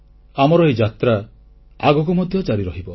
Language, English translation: Odia, But our journey shall continue